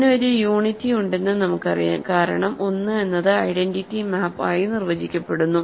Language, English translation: Malayalam, We know that it has a unity because, remember 1 is define to be the identity map